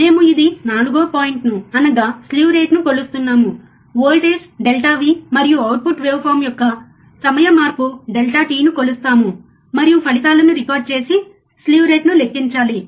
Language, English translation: Telugu, We are measuring the 4th point which is this one, measure the voltage delta V, and time change delta t of output waveform, and record the results and calculate the slew rate, alright